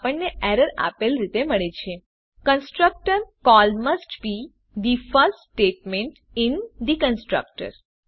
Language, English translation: Gujarati, We get the error as: Constructor call must be the first statement in the constructor